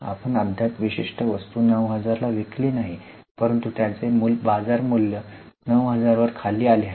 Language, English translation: Marathi, We have not yet sold the particular item at 9,000 but its market value has come down to 9,000